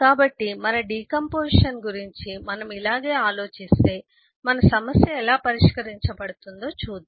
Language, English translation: Telugu, if, if this is how we think about doing our decomposition, then how is our problem getting solved